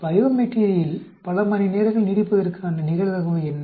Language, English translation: Tamil, What is the probability that the bio material will last for so many hours